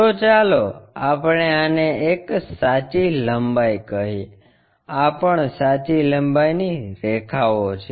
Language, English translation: Gujarati, So, let us call this one true length, this is also true length lines